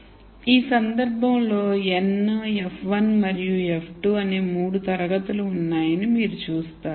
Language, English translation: Telugu, So, in this case you see that there are 3 classes n, f 1 and f 2